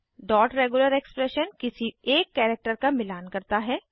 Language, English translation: Hindi, The dot regular expression matches any one character